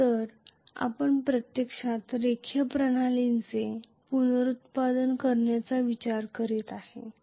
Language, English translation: Marathi, So, we are actually looking at reproduce a linear system